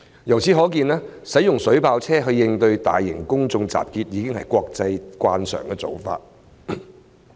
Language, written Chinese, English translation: Cantonese, 由此可見，使用水炮車應對大型公眾集結，已經是國際慣常的做法。, It is thus a common international practice to use water cannon vehicles in large - scale public assemblies